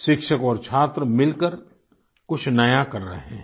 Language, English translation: Hindi, The students and teachers are collaborating to do something new